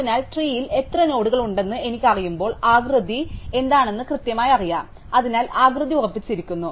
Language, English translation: Malayalam, So, once I know how many nodes are there in the tree, I know precisely what the shape is, so the shape is fixed